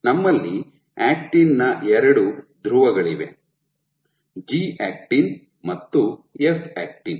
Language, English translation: Kannada, So, we have two poles of actin G actin and F actin